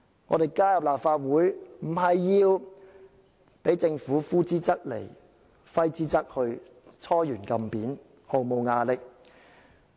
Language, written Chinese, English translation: Cantonese, 我們加入立法會，不是要被政府呼之則來，揮之則去，"搓圓按扁"，毫無牙力。, We do not join the Legislative Council for being brought under the Governments thumb and having no power at all